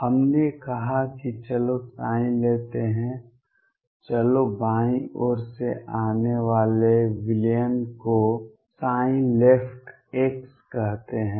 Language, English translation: Hindi, We said let us take psi let me call the solution coming from the left side as psi left x